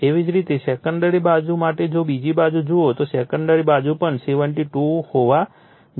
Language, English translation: Gujarati, Similarly, for the your secondary side if you look * your second side, the secondary side also has to be 72